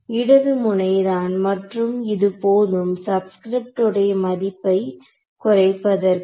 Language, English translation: Tamil, Left node and this is all equal to sorry the subscript value